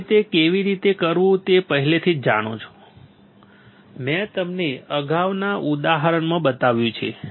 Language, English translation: Gujarati, You already know how to do that, I have shown it to you in previous examples